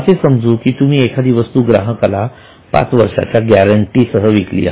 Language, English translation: Marathi, Let us say you are selling some item and you give the customer guarantee for five years